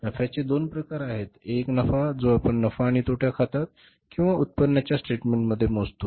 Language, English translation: Marathi, One profit which we calculate in the profit and loss account or in the income statement